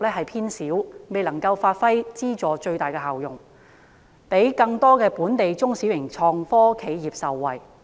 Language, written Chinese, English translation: Cantonese, 基金因而未能夠發揮最大效用，讓更多本地中小型創科企業受惠。, Because of this ITF has failed to achieve the best results to let more local SMEs and start - ups in the IT industry benefit